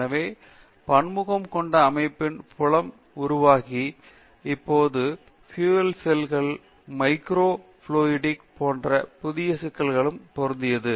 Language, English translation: Tamil, So, the field of multiphase system are evolved and now applied to newer problems like Fuel Cells and Microfluidics